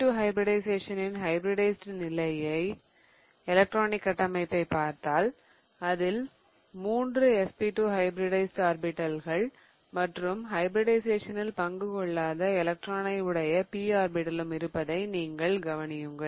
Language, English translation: Tamil, So, if you see the electronic configuration in the hybridized state of SP2 hybridization, you can see that there are three SP2 hybridized orbitals and there is also one electron in one of the P orbitals that did not take part in hybridization